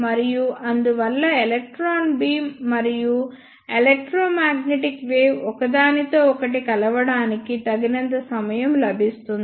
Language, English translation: Telugu, And because of that electron beam and electromagnetic wave get enough time to interact with each other